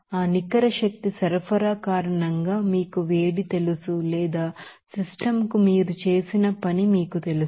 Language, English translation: Telugu, Because of that net energy supply of you know heat or by you know work done by your to the system